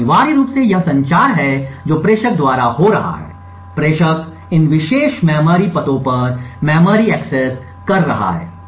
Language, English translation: Hindi, So, essentially this is the communication which is happening by the sender, the sender is making memory accesses to these particular memory addresses